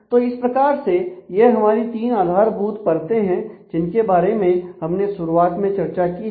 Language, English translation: Hindi, So, in this context then the basic three layers that we started discussing with are here